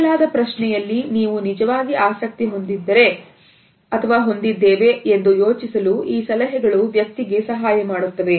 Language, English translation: Kannada, These suggestions help a person to think that you are genuinely interested in the question which has been asked